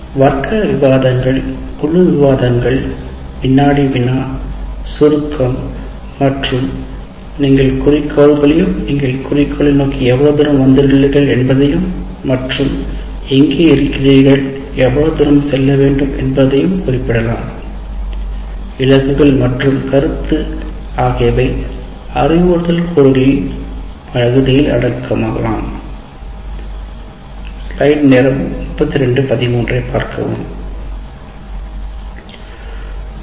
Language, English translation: Tamil, It can be class discussions, group discussions, there can be a quiz, summarization, and you also state the goals and how far you have come with respect to the goal and where you are and how far to go, this kind of goals and feedback is also one of the instructional components that can be used